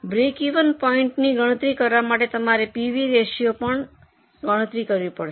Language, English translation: Gujarati, For calculating break even point, of course you have to calculate the PV ratio also